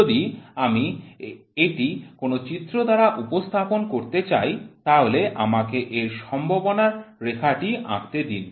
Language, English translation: Bengali, If I want to put it on a figure let me draw probability density